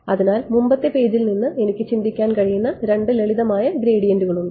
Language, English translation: Malayalam, So, there are two simple gradients I can think of from the previous page